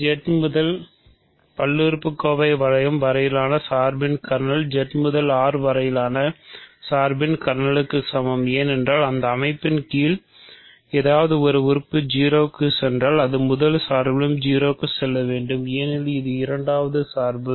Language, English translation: Tamil, Kernel of the map from Z to the polynomial ring is equal to the kernel of the map from Z to R, because if something goes to 0 under that composition it must go to 0 in the first map itself because, it second map is injective